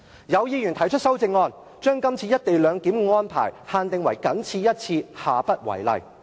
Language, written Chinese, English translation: Cantonese, 有議員提出修正案，將這次"一地兩檢"的安排限定為"僅此一次，下不為例"。, Some Members planned to move amendments to preclude the occurrence of other arrangements similar to the co - location arrangement in question